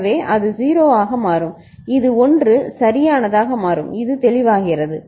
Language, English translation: Tamil, So, that will make it 0 and this will become 1 right, this is clear